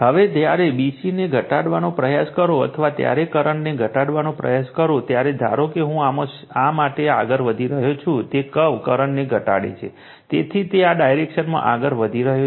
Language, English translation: Gujarati, Now, when you try to when you try to reduce b c or what you call try to reduce the current now, suppose why I am moving in this the curve reducing the current, so it is moving in this direction